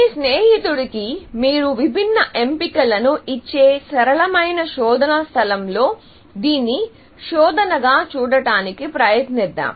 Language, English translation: Telugu, So, let us try to visualize this as a search, in a simple search space where, you give different options to your friend